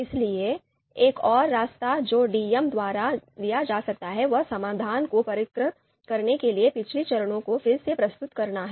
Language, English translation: Hindi, So you know another path that can be taken by DM is revisit previous steps in order to refine the solution